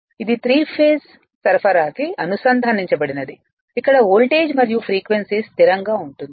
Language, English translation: Telugu, You assume it is connected to the three phase supply or voltage and frequency will remain constant right